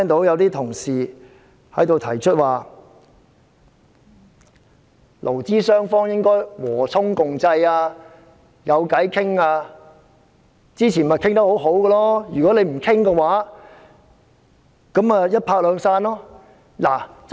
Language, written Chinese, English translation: Cantonese, 有同事提出勞資雙方應和衷共濟，要有商討的空間或事前商討出結果，否則便一拍兩散。, Some colleagues have said that employers and employees should work in concert should hold discussions or should reach an agreement through discussion; otherwise a lose - lose situation will be resulted